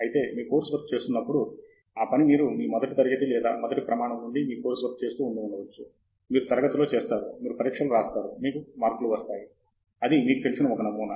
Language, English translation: Telugu, Whereas, when you do course work, it is something that you have done since first grade or first standard onwards you have been doing course work, you do classes, you write exams, you get marks; that is a pattern that you know